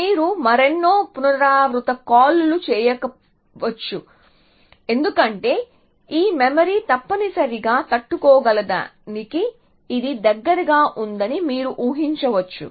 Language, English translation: Telugu, You may not do many more recursive calls because you can imagine that it is close to what this memory can tolerate essentially